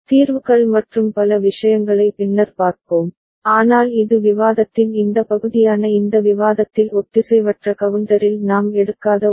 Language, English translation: Tamil, And we shall see solutions and many other things later, but this is something which we taken not in asynchronous counter in this discussion, this part of the discussion